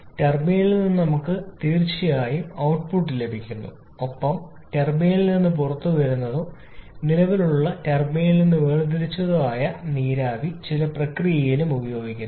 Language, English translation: Malayalam, We are getting power output definitely from the turbine plus the steam that is coming out of the turbine has been extracted from the turbine that is being used in some process as well